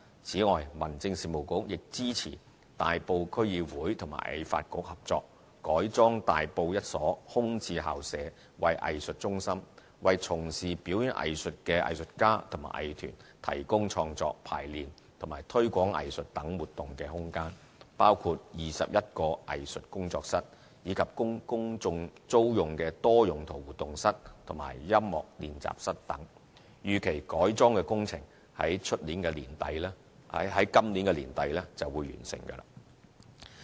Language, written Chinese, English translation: Cantonese, 此外，民政事務局亦支持大埔區議會與藝發局合作，改裝大埔一所空置校舍為藝術中心，為從事表演藝術的藝術家和藝團提供創作、排練和推廣藝術等活動的空間，包括21個藝術工作室，以及供公眾租用的多用途活動室和音樂練習室等。預期改裝工程約於今年年底完成。, Separately the Home Affairs Bureau also supports the cooperation between the Tai Po District Council and HKADC to convert a vacant school premises in Tai Po into an arts centre which provides performing arts practitioners and groups with space for creative rehearsal and promotion activities and so on . Upon the completion of the conversion works by the end of this year there will be 21 studios in addition to space open for public rental such as multipurpose activity rooms and music practice rooms